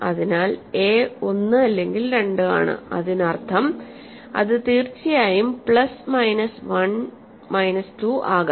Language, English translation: Malayalam, So that means, that or of course, it can be plus minus 1 minus 2